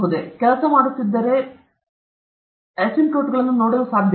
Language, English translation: Kannada, If you are working, can I look at asymptotes